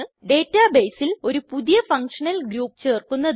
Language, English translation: Malayalam, * Add a new functional group to the database